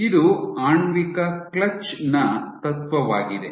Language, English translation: Kannada, This is the principle of a molecular clutch